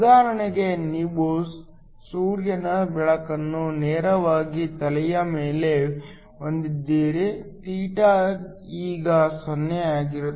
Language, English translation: Kannada, For example, if you have solar light directly over head so when θ is 0